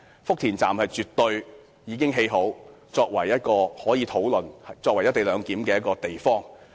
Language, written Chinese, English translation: Cantonese, 福田站已經建成，我們可討論以其作為"一地兩檢"的地方。, Since Futian Station has been built we could discuss implementing the co - location arrangement at that station